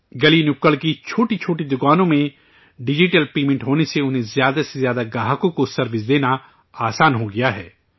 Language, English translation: Urdu, In the small street shops digital paymenthas made it easy to serve more and more customers